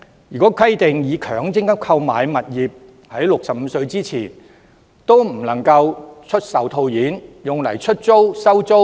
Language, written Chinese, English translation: Cantonese, 如果規定以強積金購買的物業，在僱員65歲前不能出售套現，那麼能否用以出租、收租？, If it is provided that employees are not allowed to realize properties acquired by MPF funds before they reach the age of 65 will they be allowed to rent out the properties and collect rent?